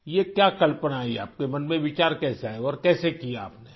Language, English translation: Urdu, What was this idea…how did the thought come to your mind and how did you manage it